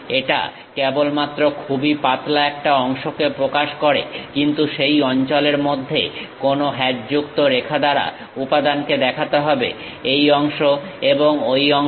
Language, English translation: Bengali, It just represents very thin portion, but material has to be shown by hatched within that zone, this part and that part